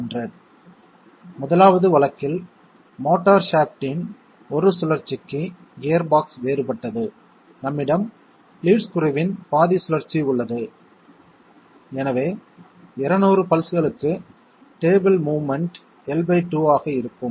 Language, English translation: Tamil, In the 1st case, the gearbox is different therefore for 1 rotation of the motor shaft, we have half rotation of the lead screw and hence, the table movement will be L by 2 for 200 pulses